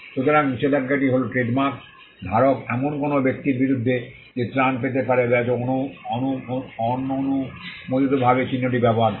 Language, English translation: Bengali, So, injunction was the relief a trademark holder could get against a person who was unauthorizedly using the mark